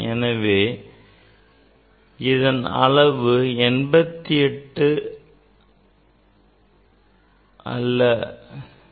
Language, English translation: Tamil, actually, it is it will be not 88